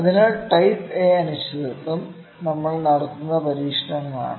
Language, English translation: Malayalam, This kind of uncertainty is type A uncertainty